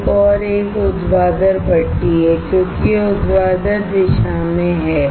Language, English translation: Hindi, Another one is a vertical furnace, since it is in vertical direction